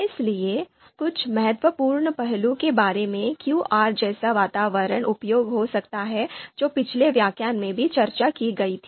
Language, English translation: Hindi, So few important aspects about why an environment like R could be useful that was that was discussed in previous lectures